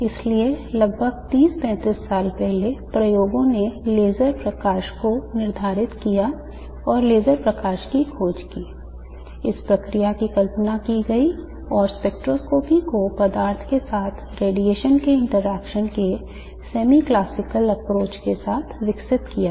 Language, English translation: Hindi, So, almost 30, 35 years before the experiments determined laser light and discovered laser light, the process was conceived and the spectroscopy was developed with what is called the semi classical approach of the interaction of radiation with matter